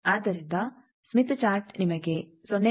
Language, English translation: Kannada, So, that is why Smith Chart will give you up to 0